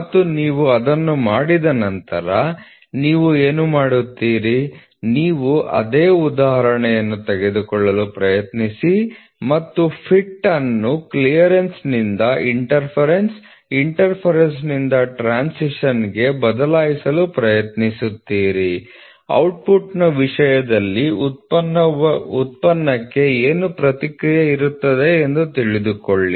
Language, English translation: Kannada, So, what you will do you will try to take the same example and shift the fit from clearance to interference, interference to transition and figure out what will be the response to the product in terms of output